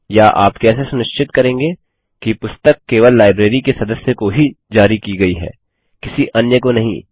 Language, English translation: Hindi, Or how will you ensure that a book is issued to only members of the library and not anyone else